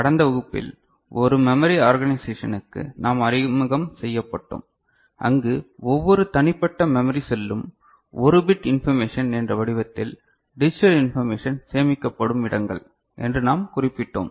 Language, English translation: Tamil, And in the last class we got introduced to a memory organization where we had noted that each individual memory cell are the ones where the digital information is stored ok, in the form of one bit information ok